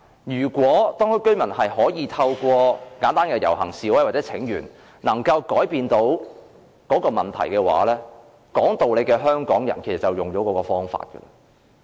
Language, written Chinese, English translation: Cantonese, 如果當區居民能夠透過簡單的遊行示威或請願來改變問題，說道理的香港人自然會使用這些方法。, The people of Hong Kong are mostly rational and they would have resorted to simple demonstrations or petitions to work things out if they could